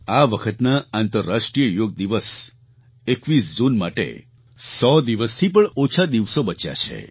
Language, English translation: Gujarati, Less than a hundred days are now left for the International Yoga Day on 21st June